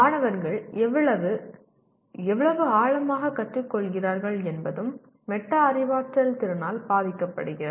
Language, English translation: Tamil, How much and how deeply the students learn also is affected by the metacognitive ability